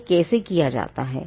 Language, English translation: Hindi, Now how is this done